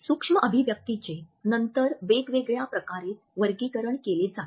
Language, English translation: Marathi, Micro expressions are further classified in various ways